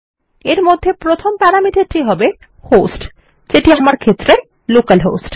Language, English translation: Bengali, And inside this the first parameter will be a host which is localhost for me